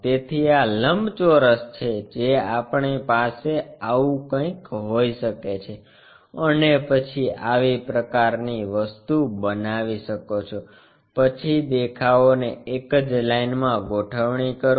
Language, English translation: Gujarati, So, this is the rectangle what we might be having something like this and then make a such kind of thing, then align the views